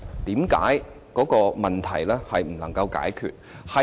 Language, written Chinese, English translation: Cantonese, 為何這個問題不能解決？, Why does this problem remain unresolved?